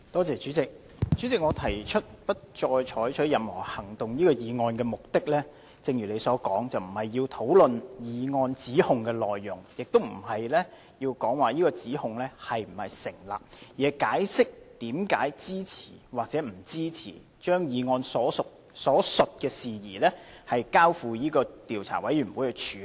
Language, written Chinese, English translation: Cantonese, 主席，我提出不再採取任何行動議案的目的，正如主席所說，並非要討論譴責議案指控的內容，亦不是要討論這指控是否成立，而是解釋為何支持或不支持把議案所述的事宜，交付調查委員會處理。, President just as what you have said I move the motion that no further action be taken not for the purpose of discussing the contents of the censure motion regarding the allegation against Dr Junius HO or discussing if such an allegation is tenable but for explaining why I support or do not support the proposal of referring the matter stated in the motion to an investigation committee